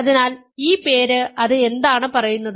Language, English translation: Malayalam, So, it this name and what does it say